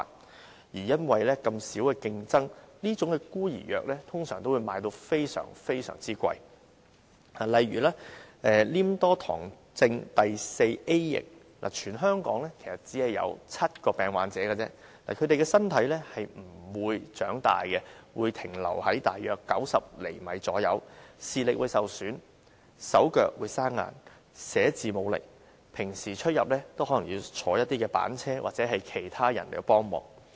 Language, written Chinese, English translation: Cantonese, 同時，由於競爭小，這些"孤兒藥"的售價通常都十分高昂，例如黏多醣症第四 A 型，全香港只有7名病患者，他們的身體不會長大，只停留在大約90厘米，視力受損，手腳生硬，寫字無力，平常出入可能也要使用滑板車或依靠其他人幫忙。, For instance there are only seven patients suffering from Mucopolysaccharidosis Type IV in Hong Kong . The bodies of these patients will not grow which means that their height will remain at about 90 cm . Moreover they will have such symptoms as vision loss stiffness in the limbs and a lack of strength in writing